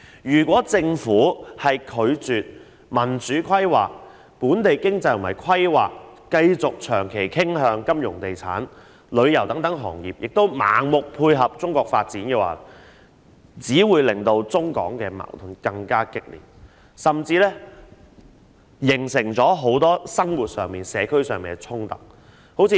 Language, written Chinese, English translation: Cantonese, 如果政府拒絕民主規劃，本地經濟和規劃繼續長期傾向金融、地產、旅遊等行業，並盲目配合中國的發展，只會令中港矛盾更加激烈，甚至形成很多生活和社區上的衝突。, If the Government refuses to implement democratic planning allows local economy and planning to keep tilting towards financial real estate and tourism businesses in the long run and chooses to support the development on the Mainland blindly the contradiction between Mainland China and Hong Kong will only be further intensified . This may even give rise to many conflicts in peoples daily life and in the community